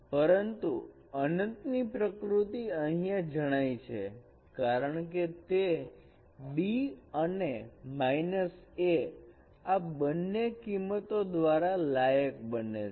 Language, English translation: Gujarati, But the nature of infinity is captured here because it is qualified by these two values B and minus A